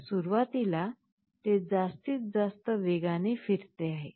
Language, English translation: Marathi, So, initially it is rotating with the maximum speed